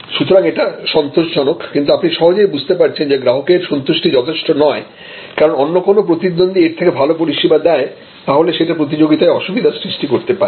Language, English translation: Bengali, So, it is satisfactory, but as you can easily see therefore, just customer satisfaction is not enough, because if somebody else a competitor can provide at this level, then you will be at a competitive disadvantage